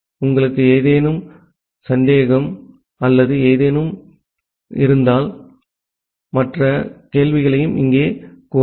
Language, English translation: Tamil, And if you have any doubt or anything feel free to post the questions in the forum